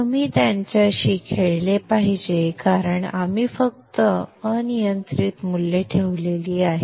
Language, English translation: Marathi, You should play around with these because we have just put arbitrary values